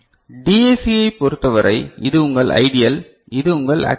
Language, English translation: Tamil, And for DAC, so this is your ideal, and this is your actual ok